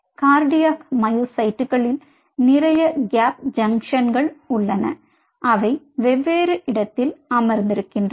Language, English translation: Tamil, cardiac myocytes have lot of gap junctions which are sitting at different spot